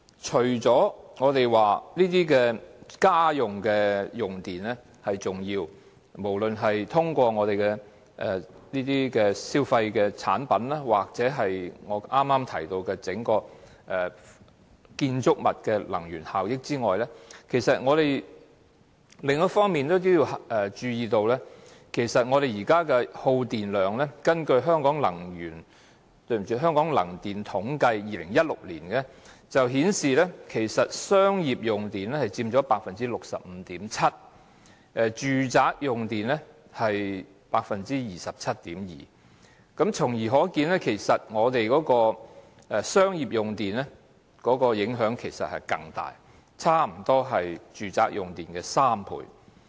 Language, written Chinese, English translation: Cantonese, 除了家居用電量佔頗重比例，無論是通過消費產品或剛才提到整幢建築物的能源消耗外，我們也要注意其他方面的耗電量，根據《香港能源統計年刊2016年版》顯示，商業用戶的用電量佔 65.7%， 而住宅用戶的用電量則佔 27.2%， 由此可見，商業用戶的用電量更大，差不多是住宅用戶的3倍。, Apart from household electricity consumption which takes up a rather big proportion as well as the above mentioned energy consumption of consumer products or buildings we should also take note of electricity consumption in other areas . According to the Hong Kong Energy Statistics Annual Report 2016 edition commercial users took up 65.7 % of the years total electricity consumption while domestic users took up 27.2 % . Commercial users electricity consumption is almost three times that of domestic users